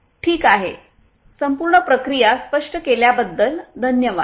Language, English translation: Marathi, Ok, thank you so much for explaining the entire process